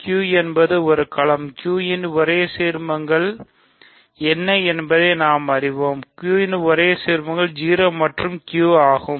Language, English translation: Tamil, For one thing, Q is a field, we know that the only ideals of Q, so the only ideals of Q are 0 and Q